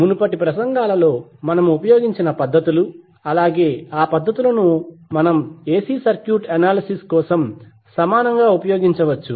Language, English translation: Telugu, So whatever we techniques, the techniques we used in previous lectures, we can equally use those techniques for our AC circuit analysts